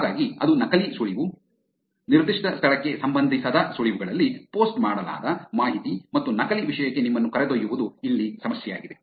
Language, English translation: Kannada, So that is the fake tip, the information that are posted in a tip that is not relevant to that particular venue, and taking you to a fake content is the problem here